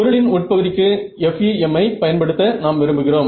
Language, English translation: Tamil, So, we want to do use FEM for interior of object